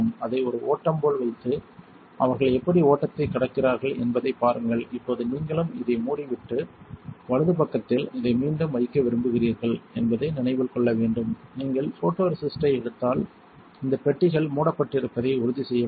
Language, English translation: Tamil, Keep it like a flow and see how they are kind of crossing the flow, now to remember you also want to close this and put this back on the on the right side, you want to make sure these cabinets are closed if you took out photoresist and then lastly you want to log out